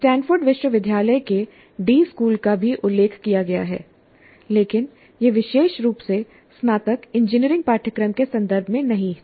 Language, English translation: Hindi, The D school of Stanford University is also mentioned, but that was not specifically in the context of undergraduate engineering curricula